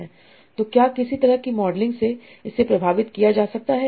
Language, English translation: Hindi, So can this be facilitated by some sort of modeling